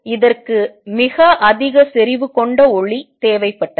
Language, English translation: Tamil, It required very high intensity light